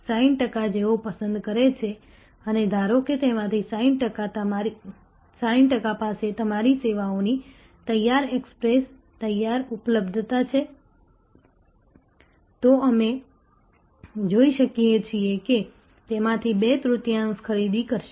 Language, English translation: Gujarati, Of the 60 percent who prefer and suppose 60 percent of them have ready access, ready availability of your services, then we can see two third of them will purchase